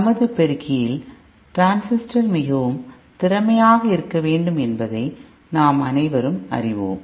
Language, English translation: Tamil, We all know that we want transistor in our amplifier to be highly efficient